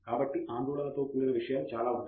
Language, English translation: Telugu, So, there are lot of things associated with worry